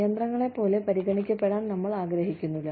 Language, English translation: Malayalam, We do not want to be treated, like machines